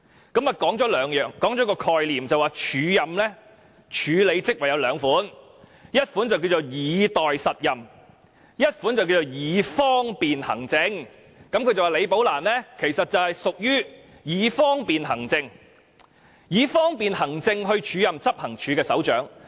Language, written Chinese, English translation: Cantonese, 她提出了兩個概念，說署任安排分為兩種，其一是"以待實任"，其二是"以方便行政"，並說李女士其實是因為"以方便行政"而獲安排署任執行處首長一職。, She put forward two concepts and said that there are two types of acting arrangements . The first one is acting with a view to substantive promotion and the other one is acting for administrative convenience . It was alleged that the acting appointment of Ms LI as Head of Operations was actually made for administrative convenience